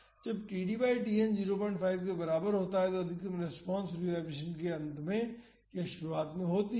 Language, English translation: Hindi, So, when td is less than Tn by 2 then the overall maximum response of the system occurs during the free vibration